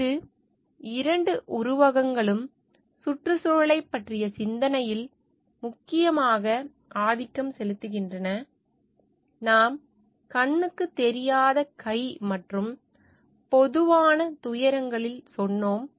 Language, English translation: Tamil, These two metaphors have majorly dominated the thinking about the environment, as we told in the invisible hand and the tragedy of commons